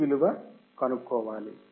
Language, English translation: Telugu, C is also given